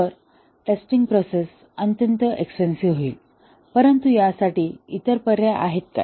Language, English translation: Marathi, So, the testing process will become extremely expensive, but then what are the other alternatives